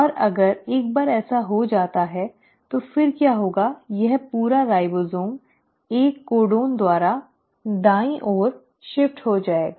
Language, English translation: Hindi, And once this happens, so what will happen then is that this entire ribosome will shift by one codon to the right